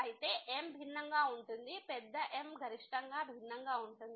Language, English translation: Telugu, So, the is different the big the maximum is different